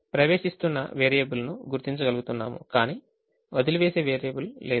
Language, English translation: Telugu, so in this iteration we showed that there is an entering variable but there is no leaving variable